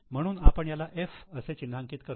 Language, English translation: Marathi, So, we'll mark it as C